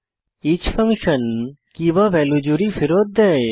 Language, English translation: Bengali, each function returns the key/value pair